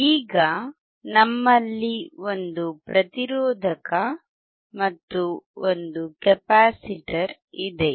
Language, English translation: Kannada, Now, we have one resistor and one capacitor